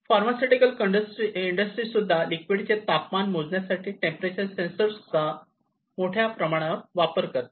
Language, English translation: Marathi, Pharmaceutical industries also use a lot of these temperature sensors for monitoring the heat of the temperature of the liquids